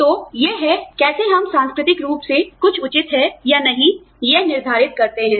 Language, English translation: Hindi, So, this is how, we culturally determine, whether something is fair or not